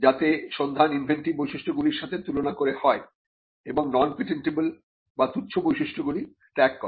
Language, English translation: Bengali, So, that the search is done comparing the inventive features and leaving out the non patentable or the trivial features